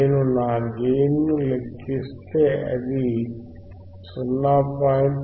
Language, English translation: Telugu, Iif I calculate my gain my gain, it is 0